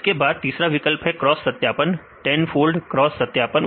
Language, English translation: Hindi, Then the third option is the cross validation: 10 fold cross validation